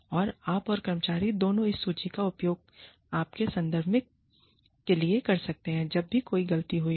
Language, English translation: Hindi, So, you and employee, both can use this list, for your reference, anytime, a mistake has been made